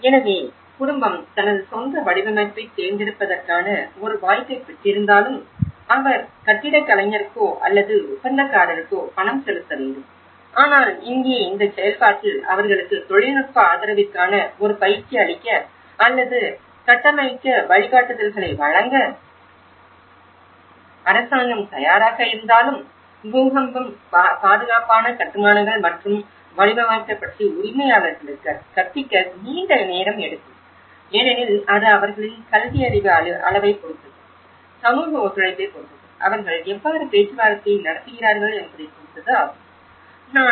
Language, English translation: Tamil, So, even though the family is getting an option to choose their own design but he has to pay for the architect or the contractor and here, in this process, though the government is ready to give them a training or provide guidance on how to build a technical support, so but it takes a long time to educate the owners about earthquake safe constructions and design because it depends on their literacy levels, depends on the social and cooperation, how they come in negotiation